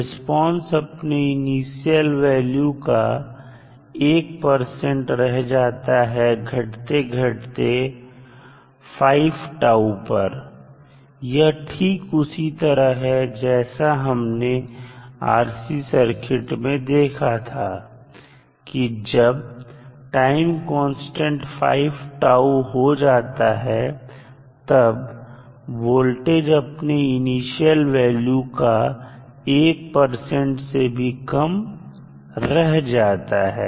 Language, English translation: Hindi, Now, at any rate the response decays to less than 1 percent of its initial value after 5 time constants so, the same we saw in case of RC circuit also, when the time is 5 tau that is 5 times of the time constant the value of voltage was left with less than 1 percent